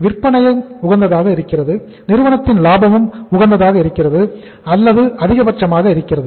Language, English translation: Tamil, Sales are also optimum and ultimately the profitability of the firm is also optimum or maximized